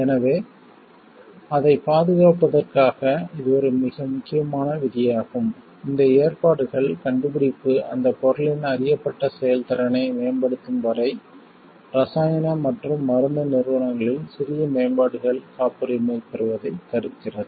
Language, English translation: Tamil, So, to safeguard for that; this is a very important provision which tells these provision prevents patenting of minor improvements in chemical and pharmaceutical entities unless the invention results in the enhancement of known efficacy of that substance